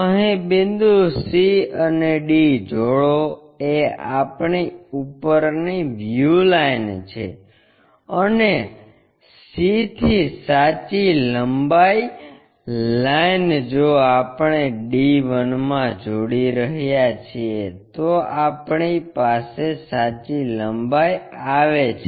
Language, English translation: Gujarati, Join these points c d is our top view line, and true length line from c if we are joining d 1, this gives us our true length